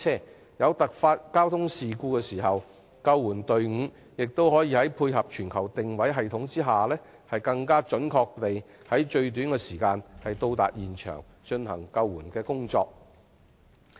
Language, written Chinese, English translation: Cantonese, 當有突發交通事故發生時，救援隊伍也可配合全球定位系統，更準確地在最短時間內到達現場，展開救援工作。, In times of traffic accidents rescue teams can also arrive at the scene to carry out rescue work in a more accurate manner and within the shortest time with the support of the Global Positioning System